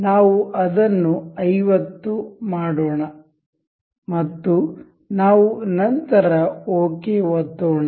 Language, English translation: Kannada, Let us make it 50 and we will click ok